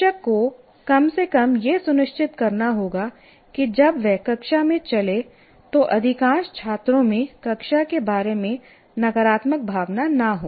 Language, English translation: Hindi, How do you ensure that you there is when I walk into the classroom at least majority of the students do not feel a negative emotion about the class